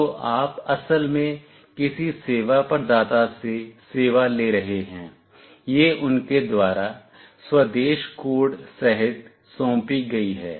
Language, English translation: Hindi, So, you are actually taking the service from some service provider, it is assigned by them including home country code